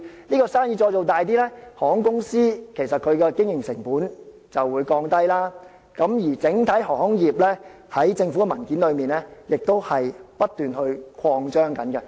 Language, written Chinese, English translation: Cantonese, 而當生意做大後，航空公司的經營成本就會下降，政府的文件便指出整體航空業將會不斷擴張。, Following such an expansion the operating costs of airlines will decrease and as indicated in the papers provided by the Government the entire aviation industry will then grow continually